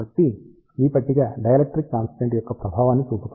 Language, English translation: Telugu, So, this table shows effect of the dielectric constant